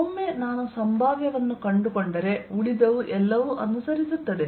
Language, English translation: Kannada, once i found the potential rest, everything follows